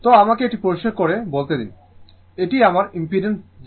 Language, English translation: Bengali, So, let me clear it so this is my impedance Z right this is my Z